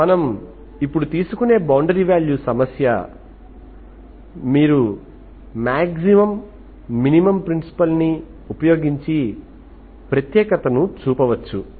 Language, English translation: Telugu, This is the boundary value problem we take, now you can show the uniqueness, uniqueness you can apply this maximum minimum principal